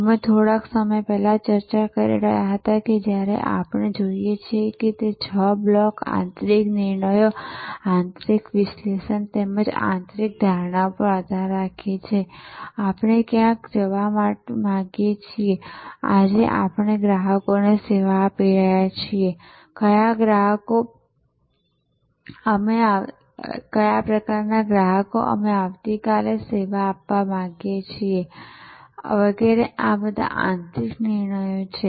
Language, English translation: Gujarati, So, positioning therefore, as we were discussing little while back when we look that those six blocks depend on internal decisions and internal analysis as well as internal assumes that is where we want to go, which customers we are serving today, which kind of customers we want to serve tomorrow it etc, these are all internal decisions